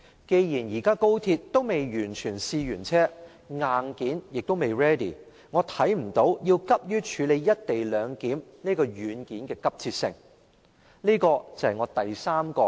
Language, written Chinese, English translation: Cantonese, 既然高鐵仍未試車完畢，硬件未 ready， 我看不到處理"一地兩檢"這軟件的急切性。, As the XRL trial runs are still underway and the hardware is not ready yet I do not see any urgency in dealing with the software ie